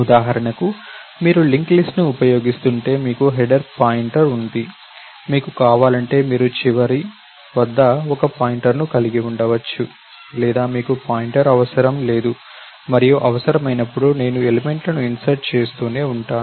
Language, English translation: Telugu, If you using a link list for example, you have pointer to the header, that is necessary and last if you want you can have a pointer or you need not have a pointer and I keep inserting the elements as and when required